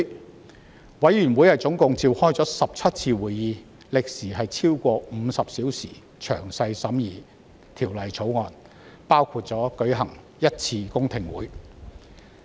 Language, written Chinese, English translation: Cantonese, 法案委員會總共召開17次會議，歷時超過50小時，詳細審議《條例草案》，也舉行了1次公聽會。, The Bills Committee has held 17 meetings which lasted more than 50 hours to carefully scrutinize the Bill and a public hearing was also held